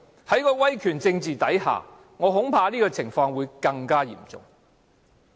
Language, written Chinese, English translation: Cantonese, 在威權政治之下，我恐怕這種情況會更為嚴重。, I am afraid authoritarianism will only worsen the problem